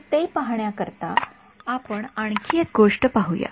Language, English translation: Marathi, So, to see that let us have a look at one other thing